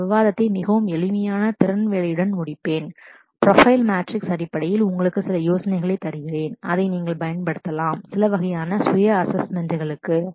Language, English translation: Tamil, I will end this discussion with a very simple skill job profile matrix which Will give you some idea in terms of, it will you can use it for a certain kind of self assessment as well